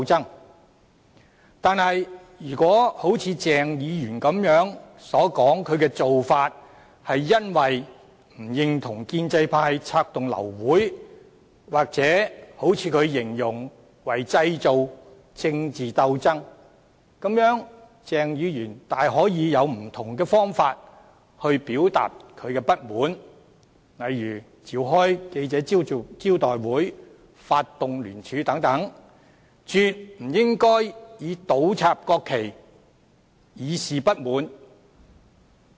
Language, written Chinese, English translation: Cantonese, 然而，如果一如鄭議員所說般，他的做法是為了表示不認同建制派策動流會或他所形容的製造政治鬥爭，鄭議員大可透過不同方法表達不滿，例如召開記者招待會、發動聯署等，絕不應以倒插國旗以示不滿。, Nevertheless even if Dr CHENGs act just as he has claimed was an expression of disapproval of the attempts made by the pro - establishment camp to abort the meeting and to stage political struggles as described by him Dr CHENG could have expressed his discontent through various means such as calling press conferences and seeking signatures from Members for joint submission . He absolutely should not use the inversion of the national flag to express his discontent